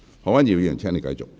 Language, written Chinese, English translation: Cantonese, 何君堯議員，請繼續發言。, Dr Junius HO please continue with your speech